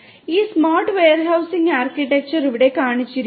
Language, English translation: Malayalam, This smart warehousing architecture is shown over here